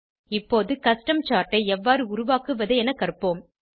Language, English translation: Tamil, Now, lets learn how to create a Custom chart